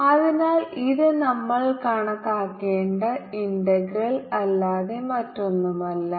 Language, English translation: Malayalam, so this is nothing but the integral which we have to calculate